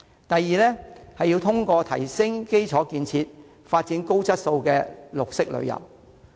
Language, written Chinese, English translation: Cantonese, 第二是通過提升基礎建設，發展高質素的綠色旅遊。, Second developing quality green tourism by upgrading infrastructure development